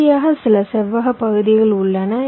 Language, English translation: Tamil, so finally, we have some rectangular regions